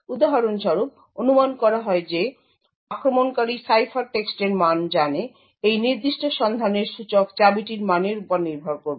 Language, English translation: Bengali, So, for example assuming that the attacker knows the value of the ciphertext, index of this particular lookup would depend on the value of the key